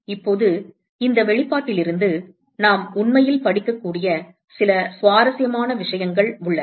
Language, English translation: Tamil, Now, there are some interesting things that we can actually read from this expression